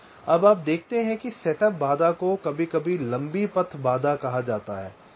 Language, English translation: Hindi, now, you see, setup constraint is sometimes called long path constraint